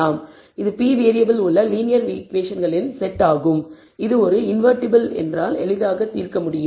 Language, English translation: Tamil, It is a set of linear equations p equations in p variables which can be easily solved if a is invertible